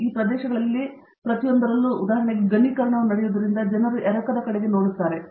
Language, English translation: Kannada, So, in each of these areas in fact, for example, people are looking at the casting as the solidification takes place